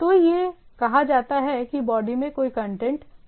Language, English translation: Hindi, So, there is that say that there is no content in the body